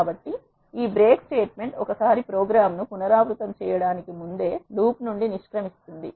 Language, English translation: Telugu, So, this break statement once executed the program exit the loop even before the iterations are complete